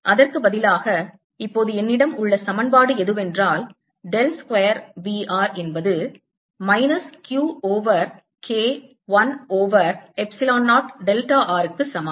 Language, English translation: Tamil, what equation i have now is dell square: v r is equal to minus q over k, one over epsilon zero k delta r